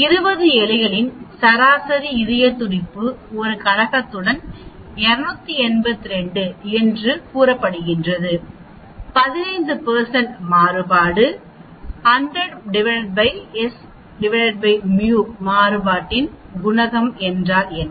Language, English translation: Tamil, The mean heart rate of 20 rats is say 282 with a coefficient variation of 15 %, what is coefficient of variation